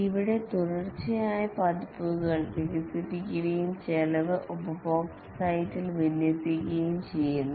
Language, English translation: Malayalam, Here, successive versions are developed and deployed at the customer site